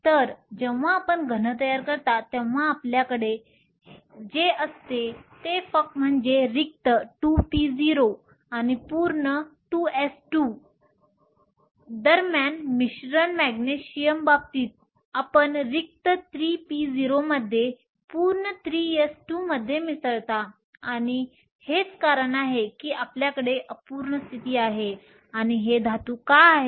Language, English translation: Marathi, So, what you have when you form a solid is the mixing between the empty 2 p 0 and the full 2 s 2, in the case of Magnesium you have mixing between the empty 3 p 0 in the full 3 s 2 and that is the reason why you have an unfilled state and why these are metals